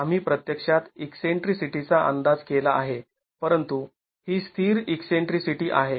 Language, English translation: Marathi, We have actually made an estimate of the eccentricity but this is the static eccentricity